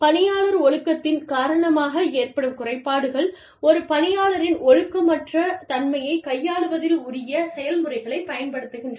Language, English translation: Tamil, Grievance due to employee discipline, deals with the use of due process, in dealing with, perceived indiscipline of an employee